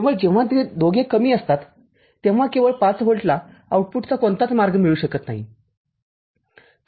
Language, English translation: Marathi, Only when both of them are low, only when both of them are low then only 5 volt does not get any path to the output